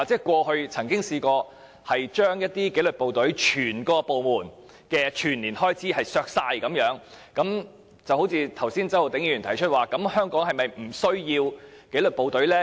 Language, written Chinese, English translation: Cantonese, 過去我們曾經削減一些紀律部隊整個部門的全年預算開支，周浩鼎議員剛才說，香港是否不需要紀律部隊呢？, We proposed CSAs to deduct the proposed annual expenditures of some disciplined forces . Just now Mr Holden CHOW asked whether we thought that it was unnecessary to have disciplined forces in Hong Kong